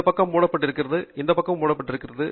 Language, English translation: Tamil, This side is covered, this side is also covered